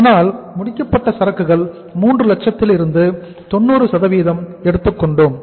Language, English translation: Tamil, So finished goods will be taken as 90% of 3 lakhs that will work out as how much